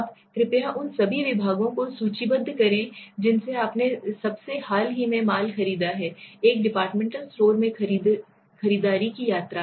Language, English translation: Hindi, Now please list all the departments from which you purchased merchandized on a most recent shopping trip to a department store